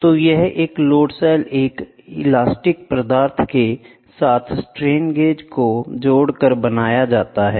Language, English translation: Hindi, So, a load cell is made up of bonding of several strain gauges